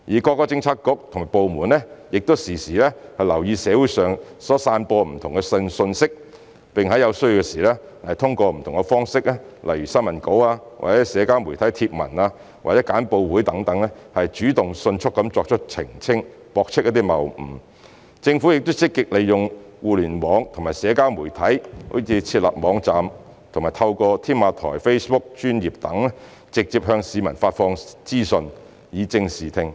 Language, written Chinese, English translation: Cantonese, 各政策局及部門亦時常留意社會上所散播的不同信息，並在有需要時通過不同方式，例如新聞稿、社交媒體貼文或簡報會等，主動迅速作出澄清、駁斥謬誤；政府亦積極利用互聯網和社交媒體，如設立網站和透過"添馬台 "Facebook 專頁等，直接向市民發放資訊，以正視聽。, All bureaux and departments have been particularly monitoring information being circulated in the community and will clarify and refute fallacies proactively and promptly through various channels such as issuing press release social media posts or holding briefing sessions etc as necessary . The Government has also actively introduced various Internet - and social media - based channels for instance websites and the Tamar Talk Facebook Page for disseminating information directly to the public with a view to setting the record straight